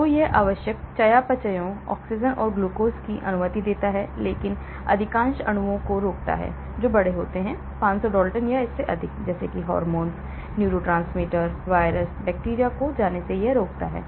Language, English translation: Hindi, So, it allows essential metabolites, oxygen and glucose but blocks most molecules that are bigger, 500 Daltons or more , like hormones, neurotransmitters, viruses, bacteria are prevented from getting through